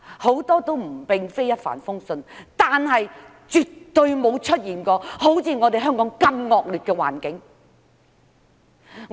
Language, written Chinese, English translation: Cantonese, 很多都並非一帆風順，但絕對未曾出現像香港這般惡劣的環境。, Many are not . But never has a place experienced a direr situation than that of Hong Kong